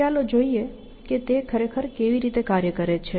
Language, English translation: Gujarati, Let us see how it actually, executes this